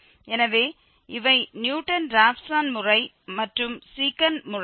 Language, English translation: Tamil, So, Newton Raphson method and Secant method